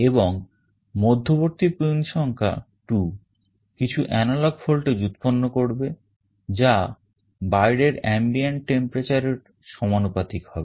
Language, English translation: Bengali, And the middle pin number 2 will be generating some analog voltage that will be proportional to the external ambient temperature